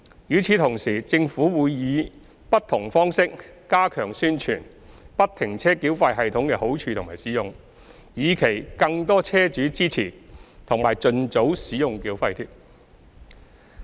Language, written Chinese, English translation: Cantonese, 與此同時，政府會以不同方式加強宣傳不停車繳費系統的好處和使用，以期更多車主支持及盡早使用繳費貼。, Meanwhile the Government will step up its efforts in publicizing the benefits of FFTS and promoting its use in the hope of soliciting more support from vehicle owners and their early adoption of toll tags